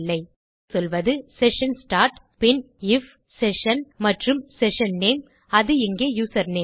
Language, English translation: Tamil, So, here Ill say session start then Ill say if session and the session name which is username